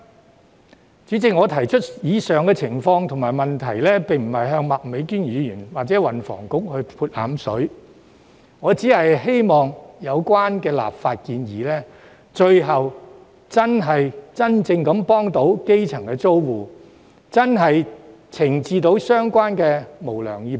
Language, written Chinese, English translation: Cantonese, 代理主席，我提出上述情況和問題，並不是要向麥美娟議員或運輸及房屋局潑冷水，而是希望有關的立法建議最後能真正幫助基層租戶，懲治相關的無良業主。, Deputy President I am not trying to throw a wet blanket on Ms Alice MAK or the Transport and Housing Bureau by raising the above possibilities and queries and it is my hope that the relevant legislative proposals can ultimately offer genuine help to grass - roots tenants and punish unscrupulous landlords